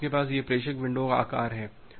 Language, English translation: Hindi, So, you have this sender window size